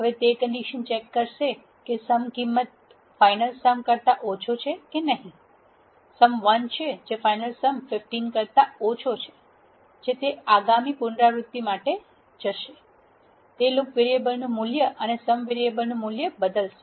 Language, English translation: Gujarati, Now it checks whether the sum is less than final sum; the sum is 1 which is less than the final sum 15 it will go for the next iteration, it will update the value of loop variable and the value of sum variable